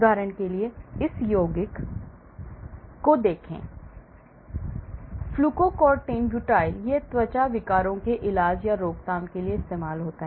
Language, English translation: Hindi, For example, look at this compound; Fluocortin butyl, it is to treat or prevent skin disorders